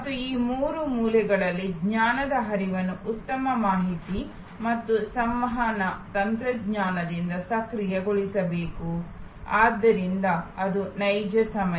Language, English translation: Kannada, And the system that flow of knowledge around these three corners must be enabled by good information and communication technology, so that it is real time